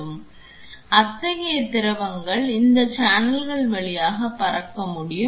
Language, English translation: Tamil, So, such fluids can also be flown through these channels